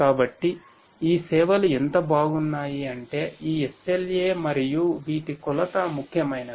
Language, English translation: Telugu, So, how good these services are this is what this SLA and the measurement of these which is important